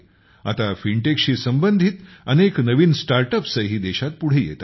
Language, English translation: Marathi, Now many new startups related to Fintech are also coming up in the country